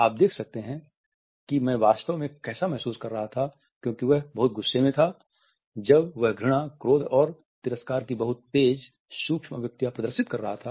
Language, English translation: Hindi, You can see how I was really feeling which was he is very angry and when he shows is a very fast micro expression of disgust, anger, scorn